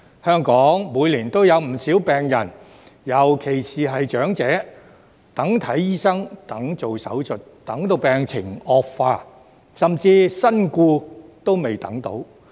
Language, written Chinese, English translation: Cantonese, 香港每年有不少病人，尤其是長者，等看醫生、等做手術，等到病情惡化，甚至身故仍未等到。, Each year many patients in Hong Kong especially the elderly are waiting for consultation by doctors or surgeries and they are still waiting when their conditions worsened or they even died